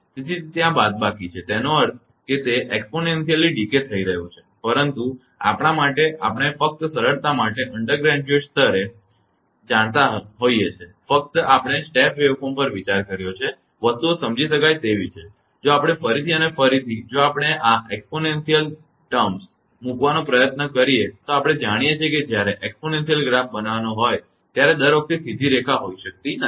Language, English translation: Gujarati, So, it is minus is there; that means, it is exponentially decay right, but in the throughout for ours you know at undergraduate level for simplicity only we have considered the step waveform such that things will be understandable and if we again and again if we try to put this exponential term things will we you know it cannot be then straight line every time we have to make exponential graph